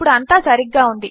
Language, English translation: Telugu, Now everything is right